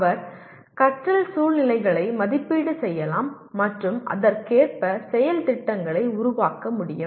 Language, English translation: Tamil, He can also assess learning situations and develop plans of action accordingly